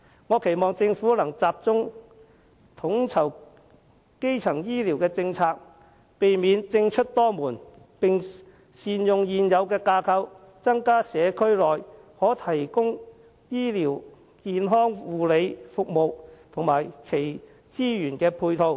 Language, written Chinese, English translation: Cantonese, 我期望政府能集中統籌基層醫療政策，避免政出多門，並善用現有架構，增加社區內可用的醫療健康護理服務及其資源配套。, I hope the Government can focus on coordinating primary health care policies avoid fragmentation of responsibilities among government departments and make available more health care services and their ancillary facilities in the community with the existing structure